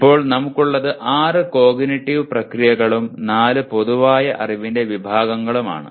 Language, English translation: Malayalam, Now what we have is there are six cognitive processes and four general categories of knowledge, six and four